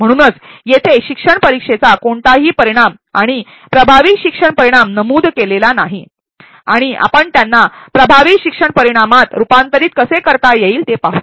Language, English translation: Marathi, Hence none of the learning outcomes mentioned here and effective learning outcomes, and let us see how we can convert them into effective learning outcomes